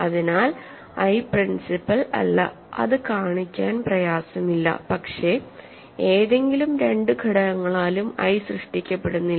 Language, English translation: Malayalam, So, I is not principal which is not difficult to show and, but I is also not generated by any 2 elements